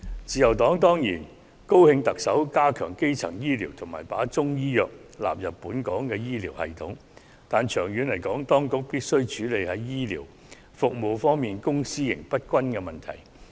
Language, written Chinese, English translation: Cantonese, 自由黨當然高興特首加強基層醫療及把中醫藥納入本港的醫療系統，但長遠來說，當局必須處理醫療服務方面公私營不均的問題。, The Liberal Party is of course pleased to note that the Chief Executive has proposed to strengthen primary health care services and incorporate Chinese medicine into the health care system in Hong Kong but in the long run the Government should address the imbalance between public and private health care services